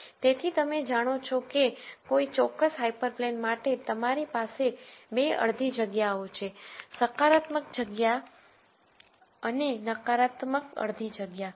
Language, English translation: Gujarati, So, you know that for a particular hyper plane you have 2 half spaces, a positive half space and a negative half space